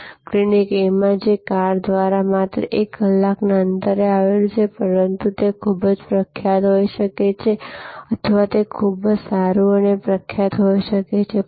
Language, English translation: Gujarati, And in Clinic A, which is just located 1 hour away by car, but it may be very famous or it may be very good and highly recommended